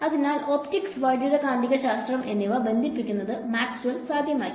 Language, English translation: Malayalam, So, the linking of optics and electromagnetics was made possible by Maxwell